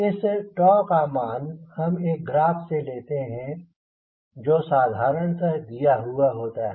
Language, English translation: Hindi, now this value of tau is a taken from a graph which is usually given